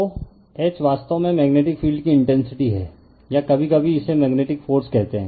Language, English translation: Hindi, So, H is actually magnetic field intensity or sometimes we call magnetizing force right